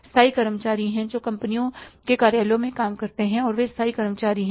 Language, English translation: Hindi, There are the permanent employees who work in the offices of the companies and they are the permanent employees